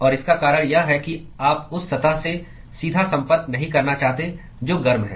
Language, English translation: Hindi, And the reason is that, you do not want to have a direct contact with the surface which is hot